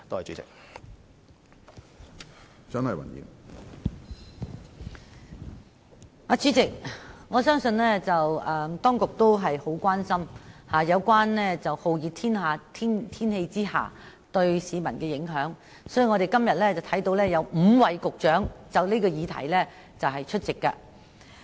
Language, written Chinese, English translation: Cantonese, 主席，我相信當局十分關注酷熱天氣對市民的影響，所以今天才會有5名局長就這項議題出席會議。, President I believe the Administration has shown great concern about the impacts of hot weather on members of the public as evidence from the attendance of five Directors of Bureaux on this subject today